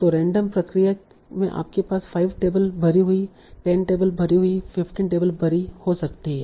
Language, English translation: Hindi, You might have five tables, fill, 10 tables, filled, 15 tables filled